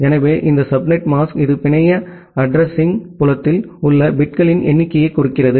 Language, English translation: Tamil, So, this subnet mask it denote the number of bits in the network address field